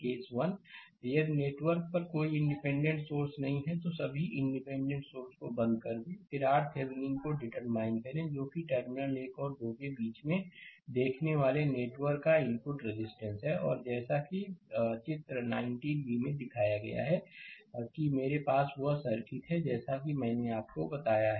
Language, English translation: Hindi, Case 1, if the network has no dependent sources right, then turn off all the independent sources; then determine R Thevenin which is the input resistance of the network looking between terminals 1 and 2 and shown as shown in figure 19 b that I have that circuit as I have told you right